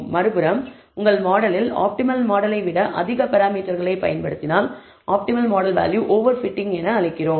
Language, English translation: Tamil, On the other hand, if you use more parameters in your model, than the optimal model value is called over fitting